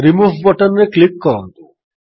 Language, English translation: Odia, Click on the Remove button